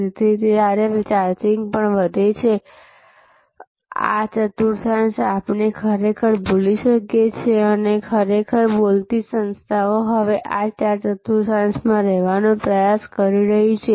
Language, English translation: Gujarati, So, this is even this over charging, these quadrants we can actually forget and really speaking organizations are now trying to remain within these four quadrants